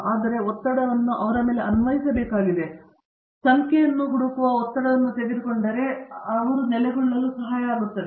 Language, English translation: Kannada, So, the pressure has to be applied on them, but this pressure of looking for numbers, if we could take it out, would help them to settle down